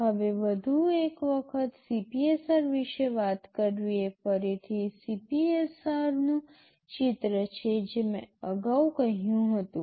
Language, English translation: Gujarati, Now, talking about the CPSR once more this is again the picture of the CPSR I told earlier